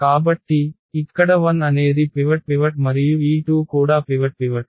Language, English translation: Telugu, So, the 1 is the pivot and also this 1 is the pivot and this 2 is the pivot